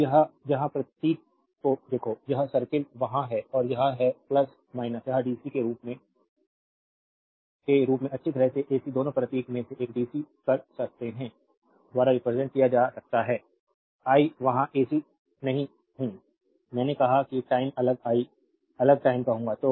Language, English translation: Hindi, Now, one is look at the symbol here, one circle is there and it is plus minus this can be represented by dc as well as ac both you can dc one of the symbol right, I am not there not ac I said say time varying I will say time varying right